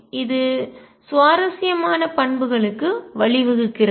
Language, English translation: Tamil, This leads to interesting properties